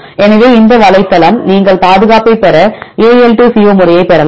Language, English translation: Tamil, So, here this is the website you can get the AL2CO method to get the conservation